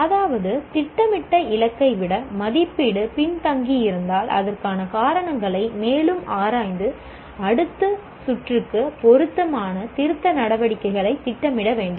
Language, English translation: Tamil, That means if the assessment lacks behind the plan target, we need to further analyze the reasons and for the same and plan suitable corrective actions for the next room